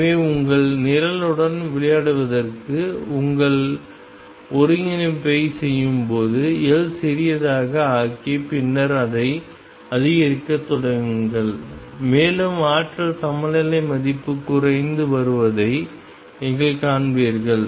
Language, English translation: Tamil, So, when you do your integration to play around with your programme make L small and then start increasing it and you will see that the energy eigenvalue is coming down it is becoming smaller